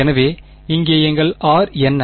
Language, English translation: Tamil, So, over here what is our r